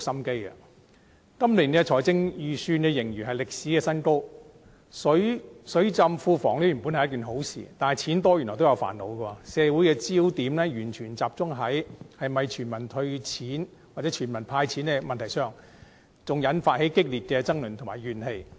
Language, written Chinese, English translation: Cantonese, 今年的財政盈餘創歷史新高，"水浸庫房"本是一件好事，但錢多原來也有煩惱，社會的焦點全部集中在是否全民"派錢"，更引發激烈爭論和怨氣。, The fiscal surplus this year has hit a record high . The Treasury being overflowing with money should be a good thing but as it turns out too much money can be troublesome too . Society has focused entirely on whether cash should be handed out to everyone causing fierce debates and grievances